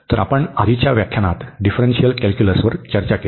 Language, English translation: Marathi, So, we already discuss in previous lectures in differential calculus